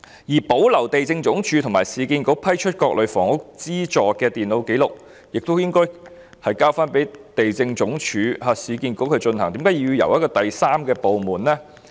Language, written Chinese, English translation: Cantonese, 此外，保存地政總署和市建局批出各類房屋資助的電腦紀錄，這項工作亦應該交回地政總署和市建局負責，為何要由第三個部門處理呢？, In addition maintaining computerized records on miscellaneous housing benefits granted by LandsD and URA should be taken up by LandsD and URA why should such work be handled by a third department?